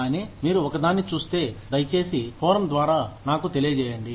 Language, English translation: Telugu, But, if you come across one, please, let me know, through the forum